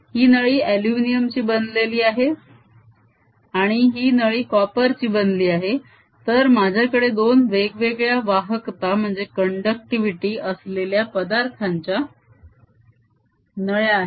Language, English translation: Marathi, this tube is made of aluminum and this tube is made of copper, so that i have these tubes made of material of different conductivity